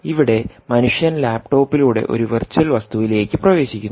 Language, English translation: Malayalam, so now the human is actually accessing a virtual object through the laptop, which is a physical object